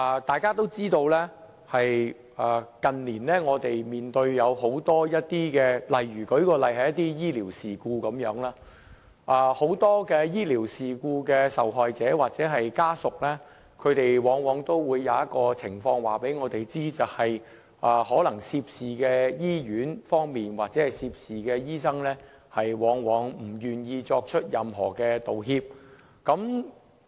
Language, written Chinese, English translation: Cantonese, 大家也知道，我們近年面對很多情況，舉例來說，在醫療事故方面，很多醫療事故的受害者或家屬往往都會告知我們一種情況，就是可能涉事的醫院或醫生，往往不願意作出任何道歉。, As Members can observe there have been several phenomena in society in recent years . One of them relates to medical incidents . Many victims of medical incidents or family members have told us that the hospitals or doctors involved in such incidents are invariably reluctant to make any apologies